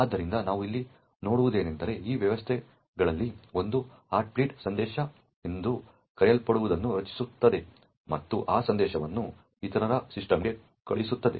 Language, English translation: Kannada, So, what we see over here is that one of these systems would create something known as the Heartbeat message and send that message to the other system